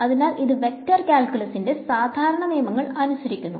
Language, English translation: Malayalam, So, it obeys the usual laws of vector calculus